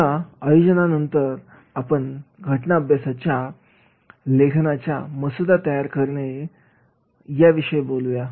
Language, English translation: Marathi, Now, after organizing, we will talk about the drafting that is the writing of the case study